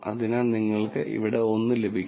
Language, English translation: Malayalam, So, you get 1 here